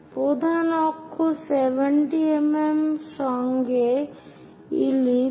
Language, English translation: Bengali, Ellipse with major axis 70 mm